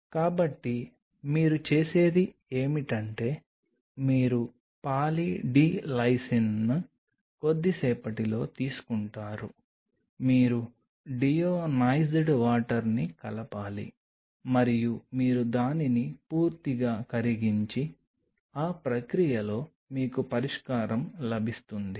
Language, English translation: Telugu, So, what you do is you take Poly D Lysine in a while you mix deionized water into it and you dissolve it thoroughly and, in that process, you get a solution